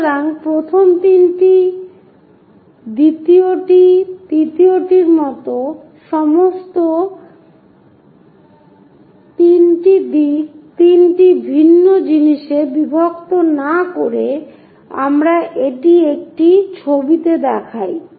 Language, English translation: Bengali, So, all the 3 sides like first one, second one, third one, without splitting into 3 different things we show it on one picture